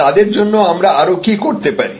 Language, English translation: Bengali, What more can we do for them